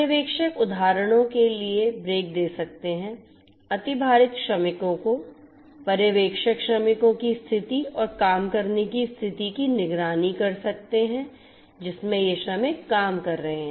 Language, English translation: Hindi, The supervisors can give break for example, to the overloaded workers, the supervisors can monitor the condition of the workers and the working condition in which this workers are working